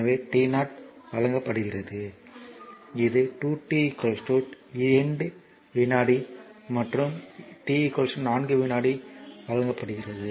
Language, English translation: Tamil, So, it is t 0 is given this is given 2 t is equal to 2 second and t is equal to 4 second